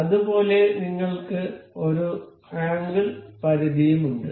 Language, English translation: Malayalam, Similarly, we have angle limit as well